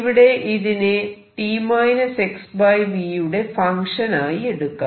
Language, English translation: Malayalam, Let us look at this is a function of t minus x over v